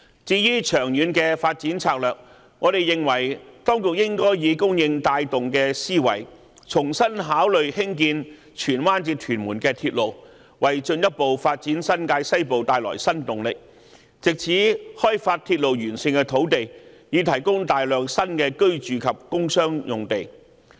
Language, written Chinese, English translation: Cantonese, 至於長遠的發展策略，我們認為當局應該以"供應帶動"的思維，重新考慮興建荃灣至屯門的鐵路，為進一步發展新界西部帶來新動力，藉此開發鐵路沿線的土地，以提供大量新的住宅及工商用地。, As regards the long - term development strategy we hold that the authorities should consider afresh the construction of a railway between Tsuen Wan and Tuen Mun with a supply - driven mindset so as to bring new impetus for further development of New Territories West and in turn develop the land along the railway for massive provision of new sites for residential industrial and commercial purposes